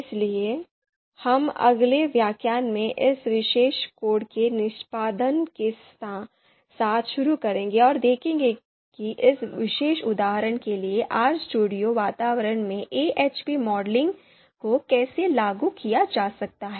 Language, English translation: Hindi, So we will start with the execution of this particular code code in the next lecture and see how the AHP modeling can actually be you know implemented in R environment in RStudio environment for this particular example